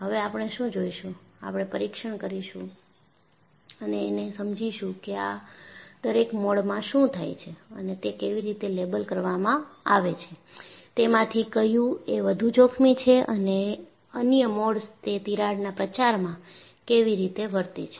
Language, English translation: Gujarati, And, what we would see now is, we would go and investigate and understand, what happens in each of these modes and how they are labeled and which one of them is more dangerous than the other, what way the other modes play in crack propagation